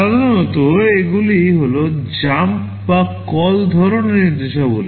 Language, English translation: Bengali, Typically these are jump or call kind of instructions